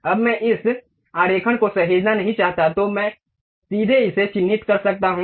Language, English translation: Hindi, Now, I do not want to save this drawing, then I can straight away click mark it